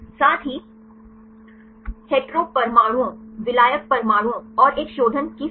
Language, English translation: Hindi, As well as the number of hetero atoms, solvent atoms, and a refinement